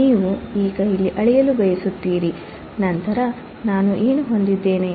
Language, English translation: Kannada, You now want to measure here, then what will I have